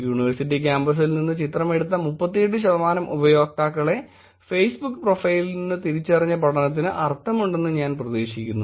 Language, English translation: Malayalam, I hope the study is making sense which is 38 percent of the times the users that were taken pictures from the university campus were identified from the Facebook profile